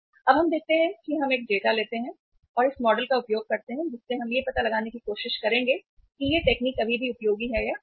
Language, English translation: Hindi, Now let us see we take a data and use this model which we will try to find out here that say whether the technique is still useful or not